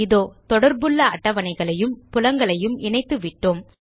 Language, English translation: Tamil, There, we have connected the related tables and fields